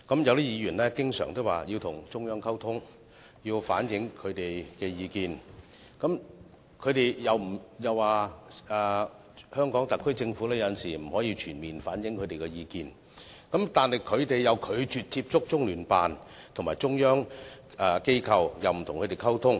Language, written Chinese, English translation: Cantonese, 有些議員經常說要與中央溝通，反映意見，又說香港特區政府有時候不能夠全面反映他們的意見，但他們又拒絕接觸中聯辦及中央機構，亦不與他們溝通。, Some Members always claim that they want to communicate with the Central Authorities and voice their opinions . And they also say that the HKSAR Government sometimes cannot reflect their views completely . But these Members refuse to get in touch with CPGLO and the Central Authorities or communicate with them